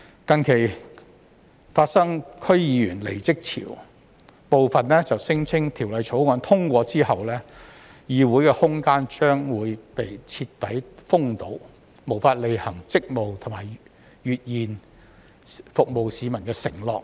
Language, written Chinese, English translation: Cantonese, 近期發生區議員離職潮，部分區議員聲稱，在《條例草案》通過後，議會空間將被徹底封堵，無法履行職務和兌現服務市民的承諾。, Recently there has been a wave of resignation by DC members . As some DC members have claimed after the passage of the Bill no room will be left for DCs to perform their duties and fulfil their promises to serve the public